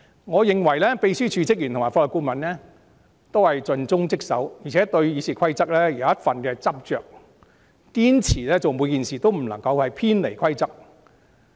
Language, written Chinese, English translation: Cantonese, 我認為秘書處職員及法律顧問皆盡忠職守，而且對《議事規則》有一份執着，做每件事也堅持不偏離規則。, I consider staff of the Secretariat and the Legal Adviser all committed to their duties . And they always stick to RoP and insist on not deviating from the rules in every task they undertake